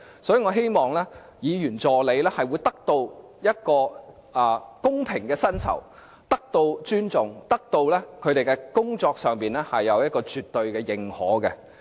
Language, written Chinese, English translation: Cantonese, 我也希望議員助理能夠得到公平的薪酬，並且得到尊重，在工作上得到絕對認可。, I also hope they can get fair pay and respect as well as absolute recognition for their work